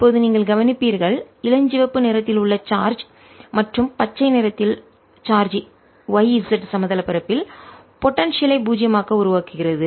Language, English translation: Tamil, now you will notice that the charge in pink and charge in green make the potential zero on the y z plane